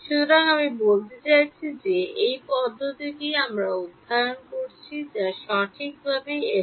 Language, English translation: Bengali, So, I mean this method that we are studying is FDTD right